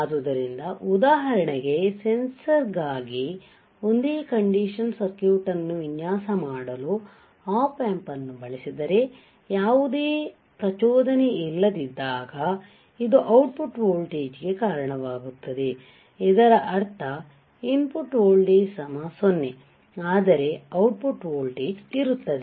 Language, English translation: Kannada, So, for example, if I use an op amp for designing a single condition circuit for a sensor, when no stimulus, it results in an output voltage correct that what does this mean, what does the above sentence means